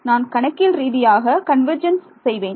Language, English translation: Tamil, I do numerical convergence